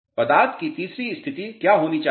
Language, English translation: Hindi, What should be the third state of the material